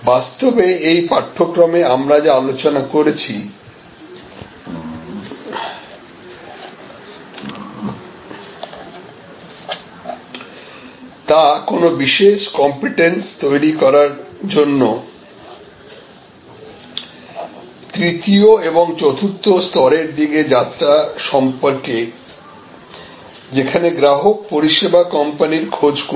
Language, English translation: Bengali, Really in this course, everything that we have discussed is for the journey towards this 3rd and 4th level to develop distinctive competence, where customers will seek out the service company